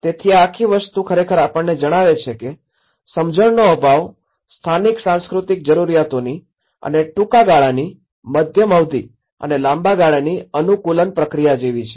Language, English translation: Gujarati, So, this whole thing has actually reveals us that the lack of understanding of the local cultural needs and how the short term, medium term and the long run adaptation process